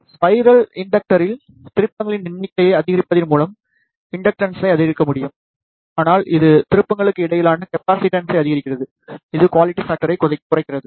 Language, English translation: Tamil, The spiral inductor inductance can be increased by increasing the number of turns, but it increases the capacitance between the turns, which reduces be quality factor